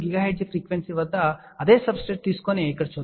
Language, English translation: Telugu, 3 3 gigahertz same substrate has been taken over here